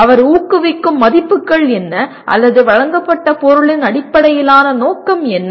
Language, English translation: Tamil, What are the values he is promoting or what is the intent underlying the presented material